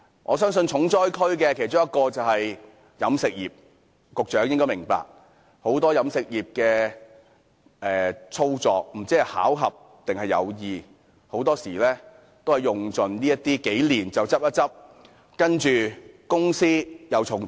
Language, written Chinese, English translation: Cantonese, 我相信其中一個重災區是飲食業，局長亦應該察覺到，很多飲食業經營者不知道是巧合還是有意，很多時候在經營數年後便會倒閉，然後將公司重組。, I think the catering industry is the hardest hit . The Secretary must have realized that many operators in the catering industry will coincidentally or intentionally close their businesses and reorganize their companies after operating for several years